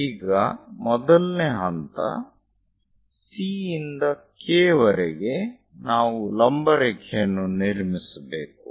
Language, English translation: Kannada, Now, the first step is from C all the way to K; we have to construct a vertical line